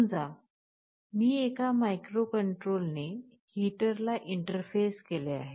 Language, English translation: Marathi, Let me tell you here suppose I am interfacing a heater with a microcontroller